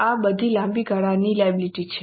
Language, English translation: Gujarati, These are all long term liabilities